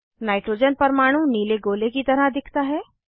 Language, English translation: Hindi, Nitrogen atom is represented as blue sphere